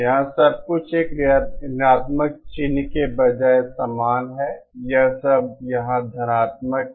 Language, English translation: Hindi, Here everything is same except instead of a negative sign, it is all positive here